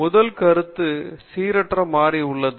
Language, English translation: Tamil, First concept is the random variable